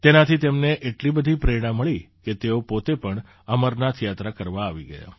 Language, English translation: Gujarati, They got so inspired that they themselves came for the Amarnath Yatra